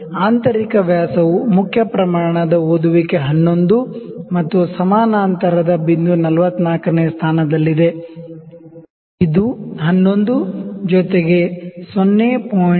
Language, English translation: Kannada, So, the internal dia is the main scale reading is 11 and the coinciding point is 44th, it is 11 plus 0